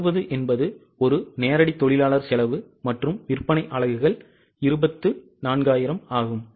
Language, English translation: Tamil, 60 is a direct labour cost and sale units are 24,000